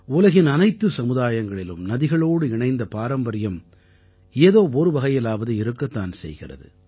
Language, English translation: Tamil, In every society of the world, invariably, there is one tradition or the other with respect to a river